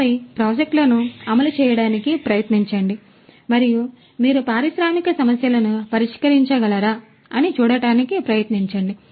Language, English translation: Telugu, And then try to execute projects and try to see whether you can address any of the industrial problems